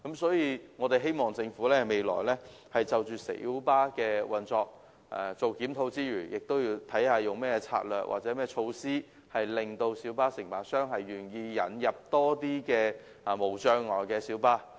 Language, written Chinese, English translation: Cantonese, 所以，我們希望政府未來檢討小巴的運作時，能考慮利用何種策略或措施，令小巴承辦商願意引入較多設有無障礙設施的小巴。, As such I hope that when reviewing the operation of light buses in future the Government will consider rolling out certain strategy or initiative so that light bus operators are willing to introduce more light buses equipped with barrier - free facilities